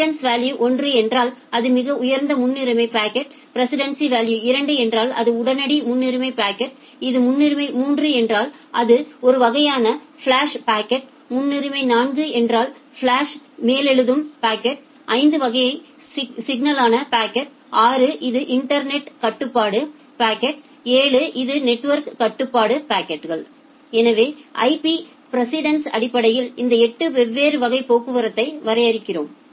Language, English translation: Tamil, Then if the precedence value is 1 it is the highest priority packet, if the precedence value is 2 it is the immediate priority packet, if it is a priority 3 it is a kind of flash packet, if it is priority 4 flash override packet, for 5 the kind of critical packet, for 6 it is internetwork control packets 7 it is network control packets